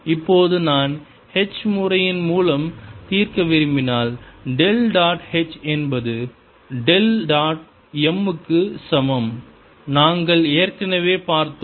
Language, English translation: Tamil, now if i want to solve through h method, i get del dot h is equal to minus del dot m and we have already seen